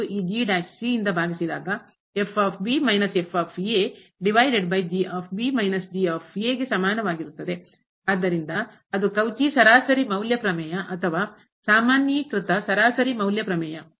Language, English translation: Kannada, So, that is the Cauchy mean value theorem or the generalized mean value theorem